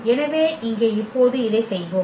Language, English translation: Tamil, So, here now let us do this